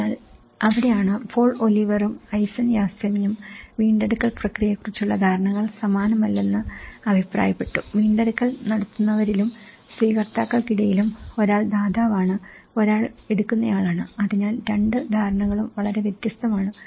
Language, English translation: Malayalam, So, that is where Paul Oliver and Aysan Yasemin, they actually work commented on how the perceptions of the recovery process they are not the same, among those who are administering the recovery and those who are the recipients so, one is a provider and one is a taker you know, so, that both the perceptions are very different